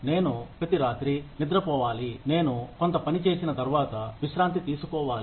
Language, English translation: Telugu, I need to sleep every night, I need to rest, after a certain amount of work is done